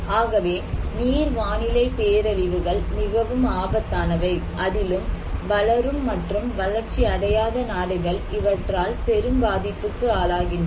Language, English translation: Tamil, So, hydro meteorological disasters are very critical, particularly when we are looking into developing countries or underdeveloped countries